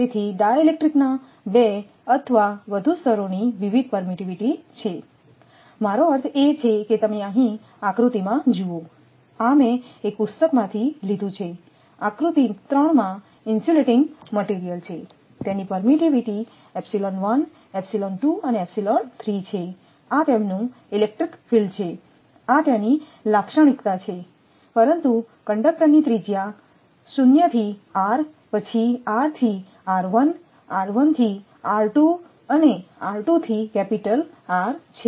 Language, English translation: Gujarati, So, 2 or more layers of dielectrics having different permittivity I mean you have here in the diagram this I have taken from a book that in in the diagram that there are 3 insulating materials are there having permittivity epsilon 1 epsilon 2 and epsilon 3 this is their electric field your what you call that characteristic is plot, but 0 to r, then that is that is the conduct radius then r to r 1 r 1 to r 2 r2 to capital R